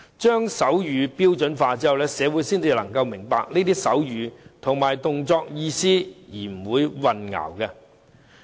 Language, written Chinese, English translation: Cantonese, 將手語標準化後，社會才能明白手語和動作的意思而不會混淆。, It is only when there is a standardized sign language that society can understand the meanings of signs and gestures without any confusion